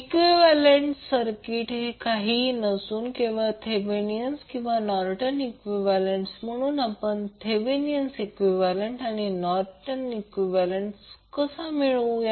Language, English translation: Marathi, Equivalent circuit is nothing but Thevenin’s or Norton’s equivalent, so how we will create Thevenin equivalent and Norton equivalent